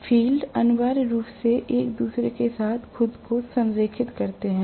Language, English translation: Hindi, The fields essentially align themselves with each other right